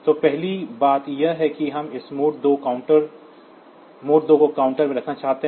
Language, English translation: Hindi, So, the first thing is that we want to have this mode 2 counter 1